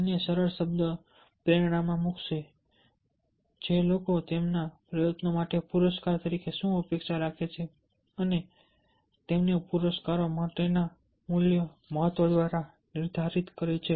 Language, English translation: Gujarati, put it in simple term: motivation, which determined by what people expect as rewards for their effort and the importance of the value attach to rewards, attach for rewards